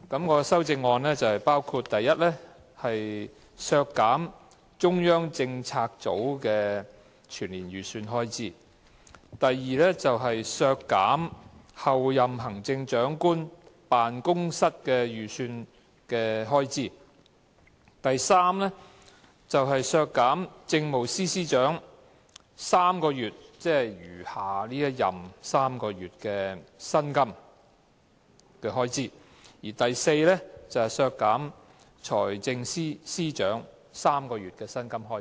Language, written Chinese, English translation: Cantonese, 我的修正案包括，第一，削減中央政策組的全年預算開支；第二，削減候任行政長官辦公室預算運作的開支；第三，削減政務司司長餘下3個月任期的薪金開支；及第四，削減財政司司長3個月薪金的開支。, My amendments include first reducing the annual estimated expenditure of the Central Policy Unit; second reducing the estimated operating expenditure on the office of the Chief Executive - elect; third reducing the expenditure on the emoluments of the Chief Secretary for Administration for the remaining three months of his term; and fourth reducing the expenditure on the emoluments of the Financial Secretary for three months